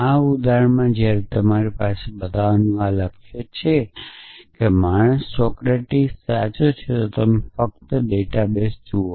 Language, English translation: Gujarati, So, in this example, when you have this goal of show that that man Socrates is true then you simply look up the database